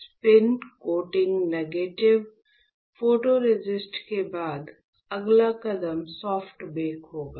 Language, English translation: Hindi, So, after spin coating negative photoresist, the next step would be soft bake right